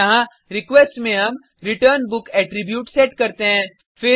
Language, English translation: Hindi, Here, we set the returnBook attribute into the request